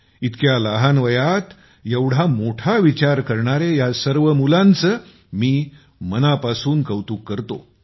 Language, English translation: Marathi, I heartily appreciate all these children who are thinking big at a tender age